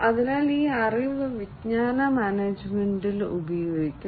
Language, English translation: Malayalam, So, this knowledge will be used in knowledge management